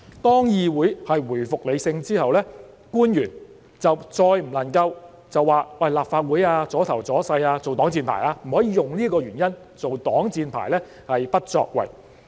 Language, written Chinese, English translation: Cantonese, 當議會回復理性之後，官員再不能以"立法會阻頭阻勢"這個原因，作為擋箭牌而不作為。, After the legislature has returned to rationality officials should no longer use the reason the legislature is blocking the way as a shield for inaction